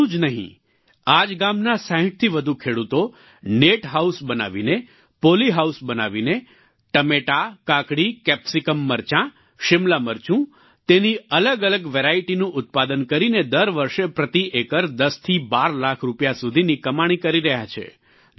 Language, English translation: Gujarati, Not only this, more than 60 farmers of this village, through construction of net house and poly house are producing various varieties of tomato, cucumber and capsicum and earning from 10 to 12 lakh rupees per acre every year